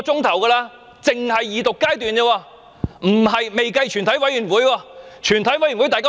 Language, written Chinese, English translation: Cantonese, 這只是二讀階段而已，還未計及全體委員會審議階段。, This is merely about the Second Reading stage and does not include the Committee stage